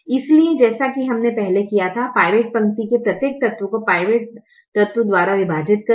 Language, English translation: Hindi, so, as we did previously, divide every element of the pivot row by the pivot element